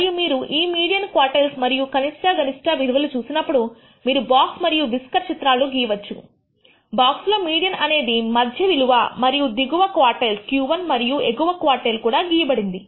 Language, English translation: Telugu, And once you have these values, the median, the quartiles and the minimum maximum, you can plot what is called the box and whisker plot in the box the median is the center value and the lower quartile Q 1 and the upper quartile is also plotted